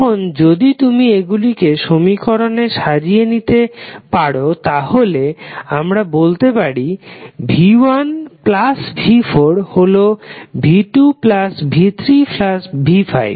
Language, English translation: Bengali, Now if you rearrange the elements in this equation then we can say that v¬1¬ plus v¬4¬ is nothing but v¬2 ¬plus v¬3¬ plus v¬5 ¬